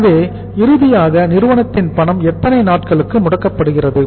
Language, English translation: Tamil, So it means finally the company’s cash, company’s cash is blocked for how many days